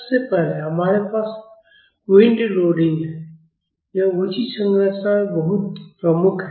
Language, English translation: Hindi, First, we have wind loading, this is very predominant in tall structures